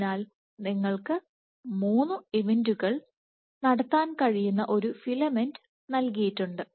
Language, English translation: Malayalam, So, there is given a filament you can have three events, right